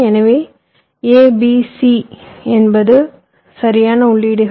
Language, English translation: Tamil, so a, b, c are the inputs right